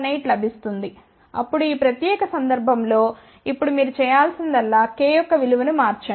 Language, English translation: Telugu, 618, then in this particular case now all you have to do change the value of k